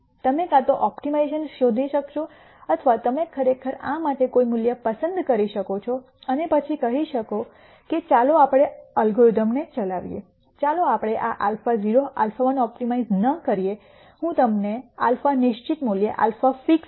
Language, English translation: Gujarati, You could either optimization nd out or you could actually pick a value for this and then say let us run the algorithm let us not optimize for this alpha naught alpha 1 and so on, I will give you a xed value of alpha, alpha xed